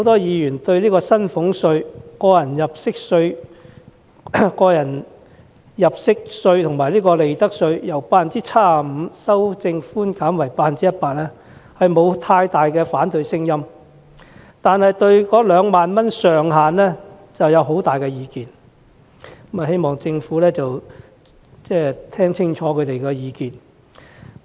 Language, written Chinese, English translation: Cantonese, 議員對薪俸稅、個人入息課稅及利得稅的稅務寬免百分比由 75% 提高至 100% 沒有太大反對聲音，但對於2萬元上限卻有很多意見，希望政府會細心聆聽他們的意見。, While Members have not raised much objection to increasing the percentage for tax reduction of salaries tax tax under personal assessment and profits tax from 75 % to 100 % they have expressed divergent views on the ceiling of 20,000 . I hope the Government will listen to their voices carefully